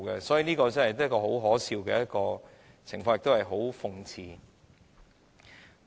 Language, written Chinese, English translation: Cantonese, 所以，這真是很可笑的情況，亦是一種諷刺。, So I think this is honestly ridiculous and ironical